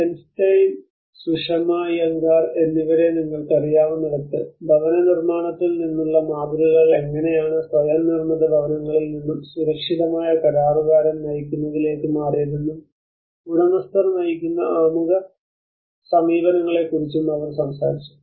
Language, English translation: Malayalam, Where you know Bernstein and Sushma Iyengar, they talked about how the paradigms from the housing construction India have shifted from the vulnerable self built housing to the safe contractor driven and they also emphasize on the owner driven prologue approaches